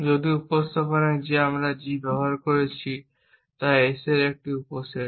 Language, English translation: Bengali, If in the representation that we have use g is the subset of the S